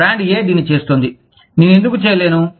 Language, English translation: Telugu, Brand A is doing it, why cannot I do it